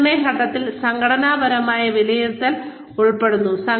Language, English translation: Malayalam, The assessment phase, includes organizational assessment